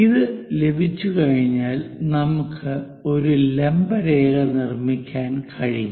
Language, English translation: Malayalam, Once we have that, we can construct a perpendicular line